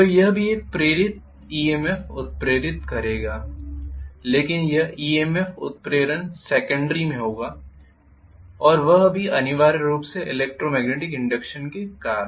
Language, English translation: Hindi, So this is also inducing an EMF but this is inducing an EMF in secondary and that is also essentially due to the electromagnetic induction